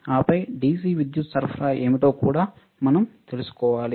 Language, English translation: Telugu, And then we should also know what are the DC power supply